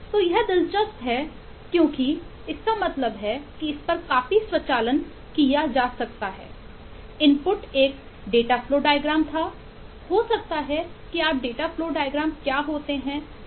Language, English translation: Hindi, so that’s interesting because that means that a quite a bit of automation can be done on this Eh